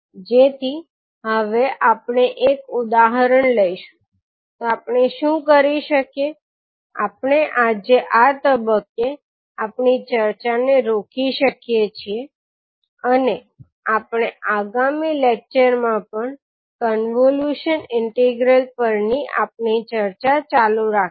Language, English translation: Gujarati, So now we will take one example so what we can do, we can stop our discussion today at this point and we will continue our discussion on convolution integral in the next lecture also